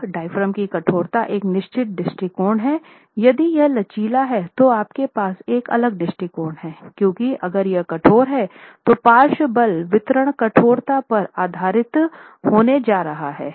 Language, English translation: Hindi, Now this diaphragm stiffness if it is rigid you have a certain approach if it is flexible you have a different approach simply because if it is rigid your lateral force distribution is going to be based on the stiffnesses